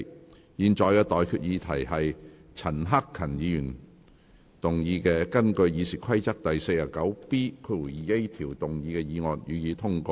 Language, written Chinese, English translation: Cantonese, 我現在向各位提出的待決議題是：陳克勤議員根據《議事規則》第 49B 條動議的議案，予以通過。, I now put the question to you and that is That the motion moved by Mr CHAN Hak - kan under Rule 49B2A of the Rules of Procedure be passed